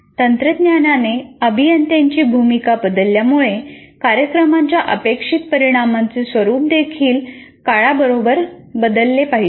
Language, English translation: Marathi, As the technology changes, the role of engineers change, so the nature of program outcomes also will have to change with time